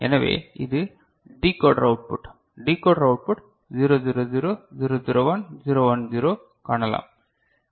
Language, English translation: Tamil, So, this is the decoder output you can see the decoder output 0 0 0, 0 0 1, 0 1 0 right